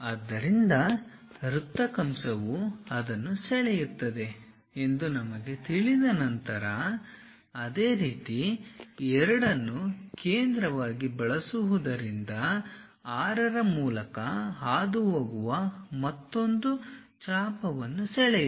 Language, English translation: Kannada, So, once we know that circle arc draw that one; similarly, using 2 as center draw another arc passing through 6